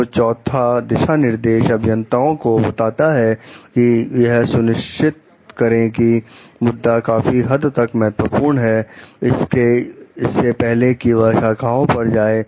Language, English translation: Hindi, So, the fourth guideline advises engineers to make sure that the issue is sufficiently important before going out on the limb